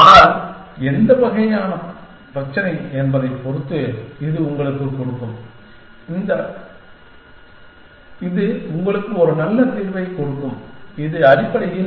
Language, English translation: Tamil, But, it will give you depending on what kind of problem it is, it will give you reasonably a good solution, essentially